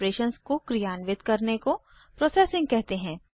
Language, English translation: Hindi, The task of performing operations is called processing